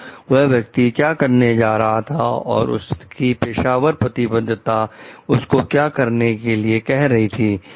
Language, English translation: Hindi, But then what is that person going to do should and what is its professional conviction like asking him to do